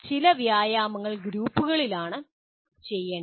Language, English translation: Malayalam, Some exercises are best done in groups